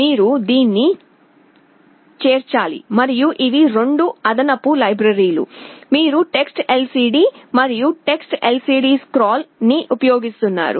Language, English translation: Telugu, You have to include this and these are the two additional libraries, you are using TextLCD and TextLCDScroll